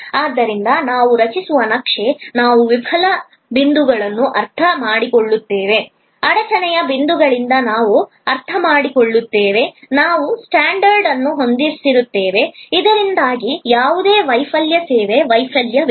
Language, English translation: Kannada, So, we map we create understand the fail points, we understand by a bottleneck points, we set up standard, so that of there is no failure, service failure